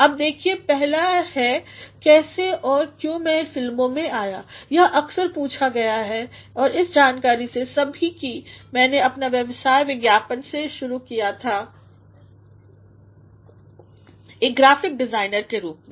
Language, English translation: Hindi, Now, see the first is how and why I came into films this has generally asked in the knowledge that I had started my career in advertising, as a graphic designer